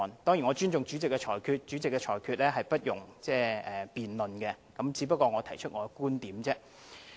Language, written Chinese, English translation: Cantonese, 當然，我尊重主席的裁決，因為主席的裁決不容辯論，我只不過是提出我的觀點而已。, Of course I respect the Presidents ruling because no debate may arise on the Presidents ruling . I am just making my views known